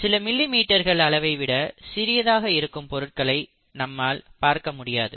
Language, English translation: Tamil, ItÕs not possible for us to see things which are below a few millimetres in size